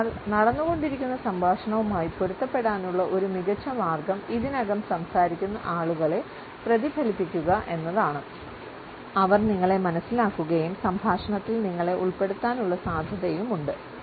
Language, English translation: Malayalam, So, a great way to fit into an ongoing conversation is to mirror the people already conversing; there is a good chance they will sense your kinship and open up to include you